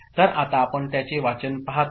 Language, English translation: Marathi, So, now we look at reading of it ok